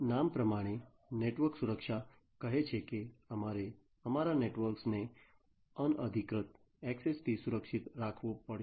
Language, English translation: Gujarati, Network security as the name says we have to protect our network from unauthorized access